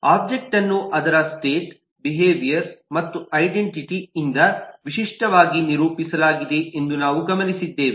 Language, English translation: Kannada, we have noted that an object is typically characterized by its state, its behavior and its identity